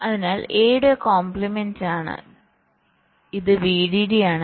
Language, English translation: Malayalam, so f is given by the complement of a and this is v dd